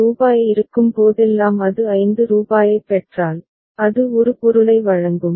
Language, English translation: Tamil, Whenever rupees 10 is there if it receives rupees 5, it will deliver a product